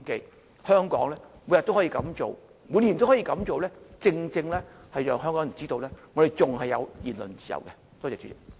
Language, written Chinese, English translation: Cantonese, 在香港，每天、每年都可以這樣做，正正能讓香港人知道我們還有言論自由。, In Hong Kong being able to do so every day and every year exactly tells Hongkongers that we still have freedom of speech